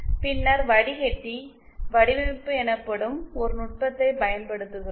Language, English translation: Tamil, Then we apply a technique called commensurate filter design